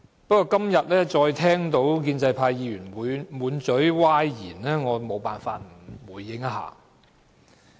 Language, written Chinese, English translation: Cantonese, 不過，今天再聽到建制派議員滿口歪理，我沒辦法不作出回應。, However today I have again heard Members from the pro - establishment camp spout sophistry thus compelling me to make a response